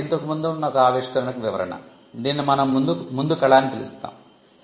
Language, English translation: Telugu, So, that is a description to an earlier existing invention, what we call a prior art